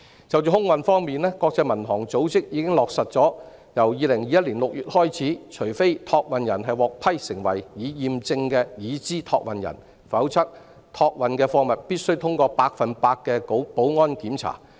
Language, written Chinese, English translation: Cantonese, 就空運方面，國際民航組織已落實由2021年6月起，除非託運人獲批為"已驗證的"已知託運人，否則託運的貨物必須通過百分之一百的保安檢查。, On the subject of air freight the International Civil Aviation Organization has confirmed that starting from June 2021 unless a consignor is approved as a validated Known Consignor all cargo it consigns will be subject to 100 % security screening